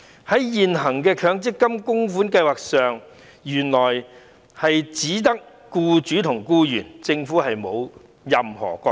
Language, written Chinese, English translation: Cantonese, 原來，現行的強積金計劃只涉及僱主和僱員，政府沒有任何角色。, Actually the existing MPF schemes only involve employers and employees while the Government has no role to play